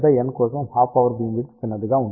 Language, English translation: Telugu, Because, larger the array half power beamwidth will be small